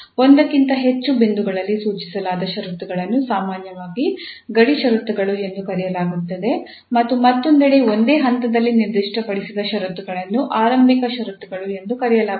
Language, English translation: Kannada, The conditions that are prescribed at more than one points are called usually the boundary conditions and on the other hand, the conditions that are specified at a single point are called initial conditions